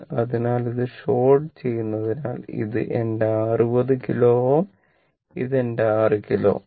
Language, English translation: Malayalam, So, if this is sort, then this is my 60 kilo ohm and this is my 6 kilo ohm right